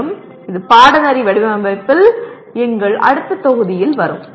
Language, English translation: Tamil, And also it will come in our next module on Course Design